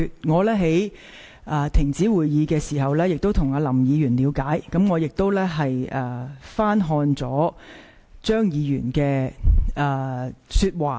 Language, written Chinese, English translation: Cantonese, 在會議暫停期間，我曾向林議員了解，亦翻聽了張議員的發言錄音。, During the suspension of the meeting I talked to Mr LAM and listened to the tape recording of Mr CHEUNGs remarks